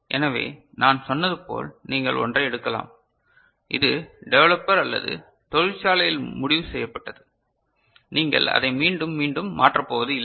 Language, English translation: Tamil, So, you can take something which as I said this is fixed by the developer or the factory, you are not changing it again and again